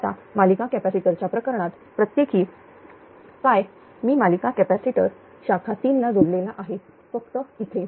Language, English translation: Marathi, Now what per in the case of series capacitor I have made a series capacitor connected in branch 3 that is here only here only righ